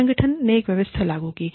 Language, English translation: Hindi, The organization put a system in place